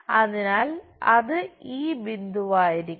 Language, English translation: Malayalam, So, it is supposed to be this point